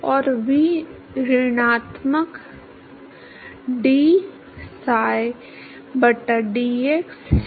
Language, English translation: Hindi, And v is minus dpsi by dx